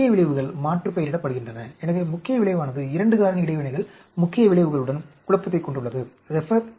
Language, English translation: Tamil, Main effects are aliased with, so there is a confounding of main effect with 2 factor interactions main effects